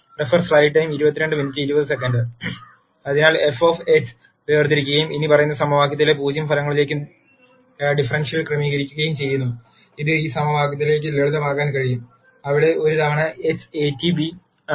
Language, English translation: Malayalam, So, differentiating f of x and setting the differential to 0 results in the fol lowing equation, and this can be simplified to this equation, where a transpose a times x is a transpose b